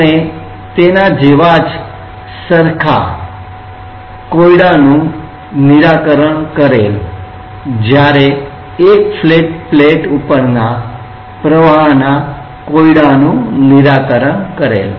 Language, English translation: Gujarati, We have worked out and worked out a very similar problem when we were considering flow over a flat plate